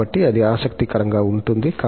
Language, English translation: Telugu, So, that is interesting